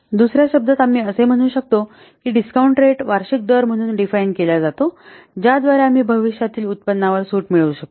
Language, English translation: Marathi, In other words, we can say that discount rate is defined as the annual rate by which the discount by which we discount the future earnings mathematically